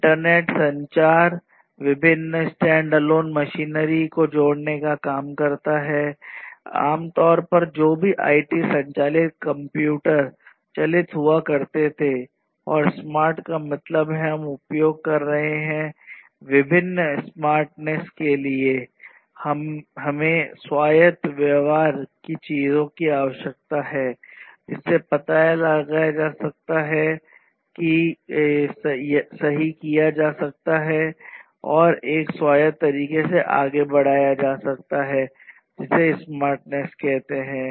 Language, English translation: Hindi, Internet work, communication, connecting different standalone machinery, typically which used to be all IT driven, computer driven; and smart means we are using different for smartness we need autonomous behavior things which can be detected, corrected and taken forward in an autonomous manner that is basically the smartness